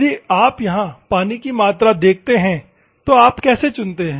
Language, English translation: Hindi, If you see here water, how do you select